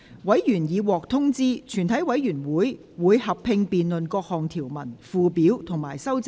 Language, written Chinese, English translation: Cantonese, 委員已獲通知，全體委員會會合併辯論各項條文、附表及修正案。, Members have been informed that the committee will conduct a joint debate on the clauses schedules and amendments